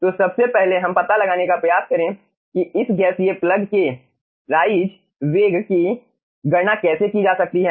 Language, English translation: Hindi, so ah, at first let us try to find out that how this ah ah rise velocity of this gaseous plug can be calculated